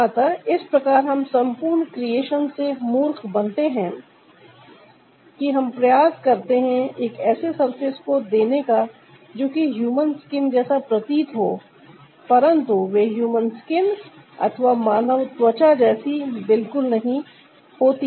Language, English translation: Hindi, so that way we are fooled by the whole creation that we try to give a surface that ah seems to be a human skin, but they are not human skin at all